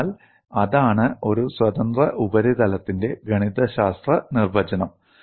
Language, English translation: Malayalam, So, that is the mathematical definition of a free surface